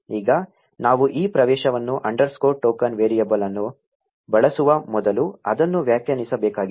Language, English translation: Kannada, Now we need to define this access underscore token variable before we can use it